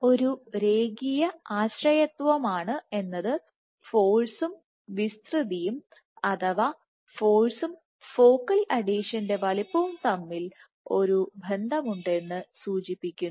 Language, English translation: Malayalam, So, this was a linear dependence suggesting that there is a correlation between force and area, force and focal adhesion size